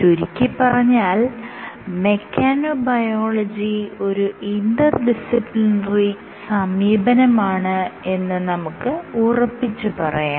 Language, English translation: Malayalam, So, in a nutshell your mechanobiology, it is an interdisciplinary field ok